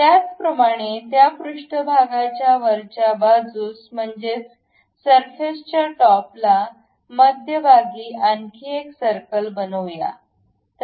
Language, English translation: Marathi, Similarly, on top of that surface, let us make another circle at center